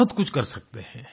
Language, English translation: Hindi, We can do a lot